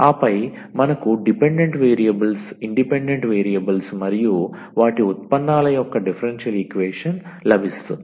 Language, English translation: Telugu, And then we will get a relation of the dependent variables independent variables and their derivatives which is the differential equation